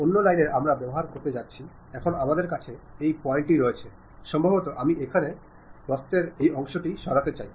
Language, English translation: Bengali, The other line what we are going to use is now we have this point, this point, maybe I would like to remove this part of the curve here